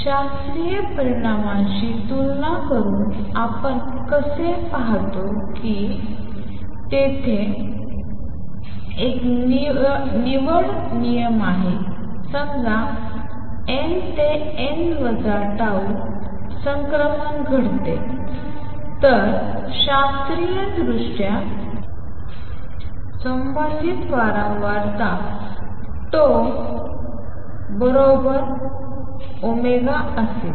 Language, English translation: Marathi, Now you see how we see by comparing with the classical results there is a selection rule suppose n to n minus tau transition takes place, then the corresponding frequency right the corresponding frequency in classical limit will be tau times omega